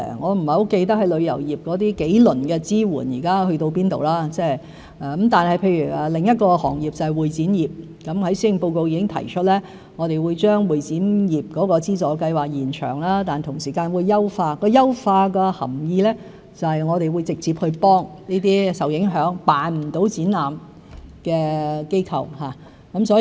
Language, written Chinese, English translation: Cantonese, 我不是很記得旅遊業的數輪支援去到甚麼階段，但譬如另一行業，就是會展業，我在施政報告已經提出，我們會將會展業的資助計劃延長，同時會優化計劃，優化的含義就是我們會直接去幫助這些受影響、無法舉辦展覽的機構。, I do not remember very well which stage we have reached in those rounds of support for the tourism industry; but take another industry the convention and exhibition CE industry as an example . It has been proposed in the Policy Address that we will extend the funding scheme for the CE industry and enhance it at the same time meaning that we will directly help the affected organizations which cannot organize exhibitions